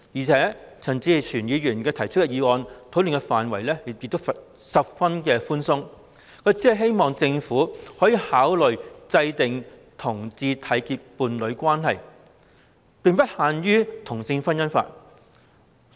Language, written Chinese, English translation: Cantonese, 再者，陳議員所提議案的討論範圍十分寬鬆，只希望政府考慮制訂讓同志締結伴侶關係的政策，並不限於制定同性婚姻法。, Moreover the scope of discussion proposed in Mr CHANs motion is very broad and the Government is only urged to consider formulating policies for homosexual couples to enter into a union which is not confined to the enactment of legislation on same - sex marriage